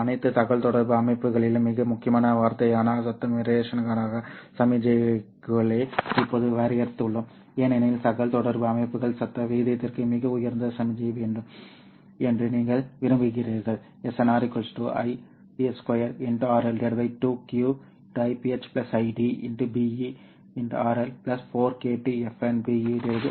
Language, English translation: Tamil, Now we define signal to noise ratio which is a very, very important term in all communication systems because you want communication systems to have a very high signal to noise ratio